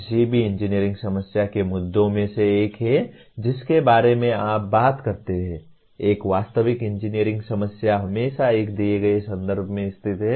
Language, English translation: Hindi, One of the issues of any engineering problem that you talk about, a real world engineering problem is always situated in a given context